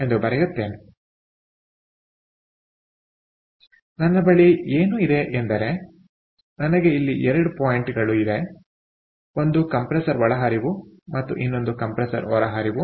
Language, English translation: Kannada, so what i have is i have to point here compressor inlet and compressor outlet